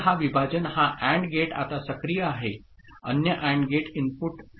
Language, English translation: Marathi, So, this split this AND gate is now active the other AND gate input will be 0